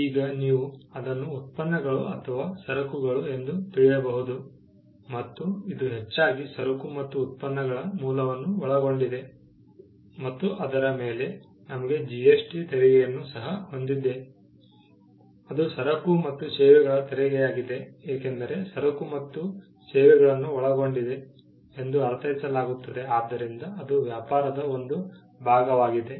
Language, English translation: Kannada, Now, you could also say products, you could say a merchandise, but largely this comprises and that is the reason we have the GST tax; that is goods and services tax because, the goods and services is understood to encompass everything, that can be a part of trade